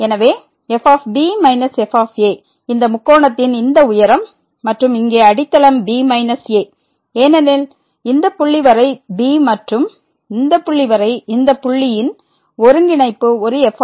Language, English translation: Tamil, So, minus is this height of this triangle and the base here is minus , because up to this point is and up to this point here the co ordinate of this point is a